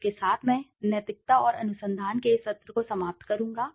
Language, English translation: Hindi, With this I will finish this session of ethics and research